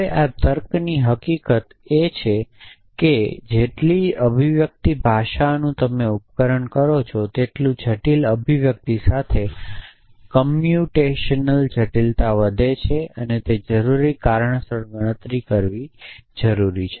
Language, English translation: Gujarati, Now, this is a fact of logic is that the more expressive a language you device the more complex is the computational required to reason with that essentially so computational complexity increases with expressiveness